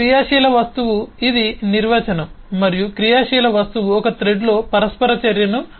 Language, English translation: Telugu, an active object is this is the definition and an active object is which instigates an interaction in a thread